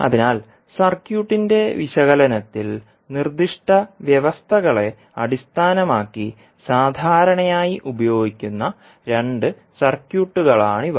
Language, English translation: Malayalam, So, these are the two commonly used circuits based on the specific conditions in the analysis of circuit